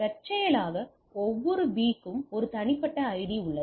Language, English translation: Tamil, So, in incidentally every B has a unique ID